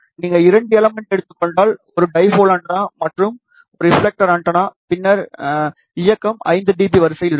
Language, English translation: Tamil, If you take two elements that means, one dipole antenna and one reflector antenna, then the directivity will be of the order of 5 dB